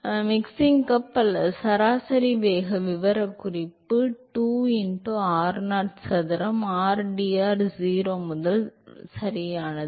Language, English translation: Tamil, Um which is the mixing cup or the average velocity profile is 2 by r0 square, integral 0 to r0 u into r dr, right